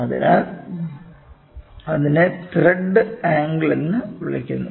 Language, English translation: Malayalam, So, it is called as angle of thread